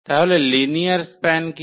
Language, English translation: Bengali, So, what is the linear span